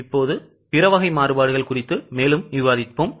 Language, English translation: Tamil, Now we will discuss further on other types of variances